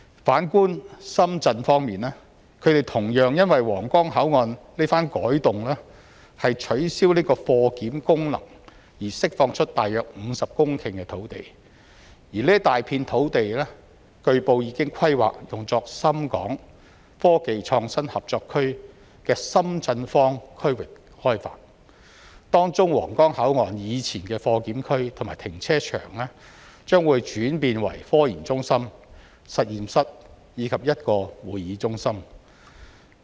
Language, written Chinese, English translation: Cantonese, 反觀深圳方面，他們同樣因為皇崗口岸這番改動取消貨檢功能，而釋放出大約50公頃土地，這大片土地據報已規劃用作深港科技創新合作區的深圳方區域開發，當中皇崗口岸以前的貨檢區和停車場，將會轉變成科研中心、實驗室及一個會議中心。, As for the Shenzhen side similarly they will have about 50 hectares of land released because the Huanggang Port will not provide goods inspection after the redevelopment . It has been reported that this vast piece of land will be used for the development of SITZ of the Co - operation Zone . The former goods inspection area and car park of the Huanggang Port will be transformed into a scientific research centre a laboratory and a convention centre